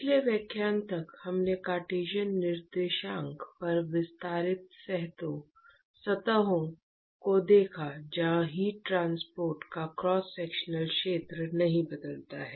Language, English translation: Hindi, All right, till the last lecture we looked at extended surfaces on Cartesian coordinates where the cross sectional area of heat transport does not change